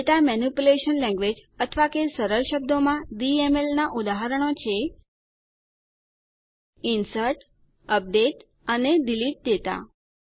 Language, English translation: Gujarati, Examples of Data Manipulation Language, or simply DML are: INSERT, UPDATE and DELETE data